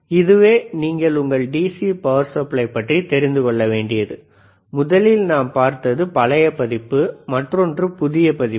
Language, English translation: Tamil, So, this is all about your DC power supply, one that we have seen is older version, and other that we have seen is a newer version